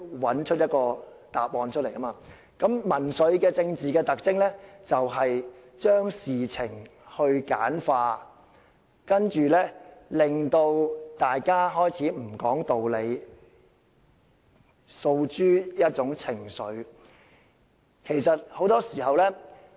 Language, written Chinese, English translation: Cantonese, 比起所謂找對手，我認為民粹其中一個更大的特徵，就是將事情簡化，令大家開始不講道理，然後訴諸一種情緒。, To say that populism is about finding an opponent I would rather say that a more prominent feature of populism is oversimplifying all issues such that people start becoming irrational and then emotional